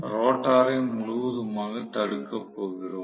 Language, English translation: Tamil, We are going to have the rotor completely blocked